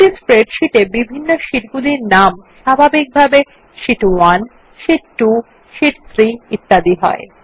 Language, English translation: Bengali, If you see in a spreadsheet, the different sheets are named by default as Sheet 1, Sheet 2, Sheet 3 and likewise